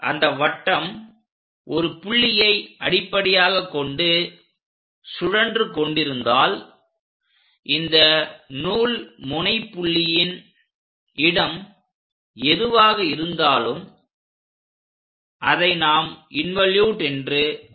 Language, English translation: Tamil, On that the circle if it is rotating as a base point whatever the locus of this thread end point moves that is what we call an involute